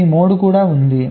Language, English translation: Telugu, this is also an standard